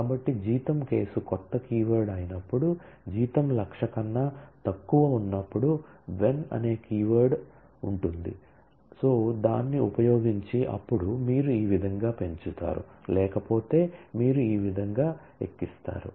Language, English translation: Telugu, So, you say when salary case is a new keyword, when is a key word when salary is less than equal to 100,000, then this is how you hike otherwise this is how you hike